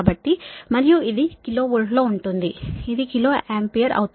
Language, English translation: Telugu, so, and this is in kilo volt, this will be kilo ampere